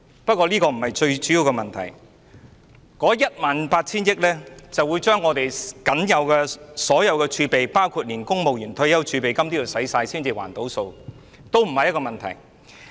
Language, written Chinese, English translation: Cantonese, 不過，這個不是最重要的問題，這項為數 18,000 億元的開支，勢將把香港所有儲備，包括公務員退休儲備金花光，才能"填數"，但這個也不是問題。, But this is not the most important issue . Meeting this expenditure of 1,800 billion will inevitably mean exhaustion of the entire reserves of Hong Kong including the pension reserve for civil servants . But the point is not here either